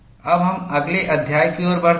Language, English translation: Hindi, Now, we move on to the next chapter